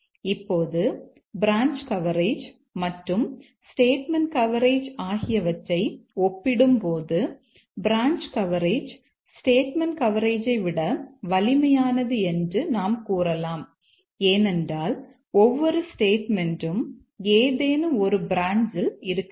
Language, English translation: Tamil, Now here between branch coverage and statement coverage, we can say that branch coverage is stronger than statement coverage because every statement must be there on some branch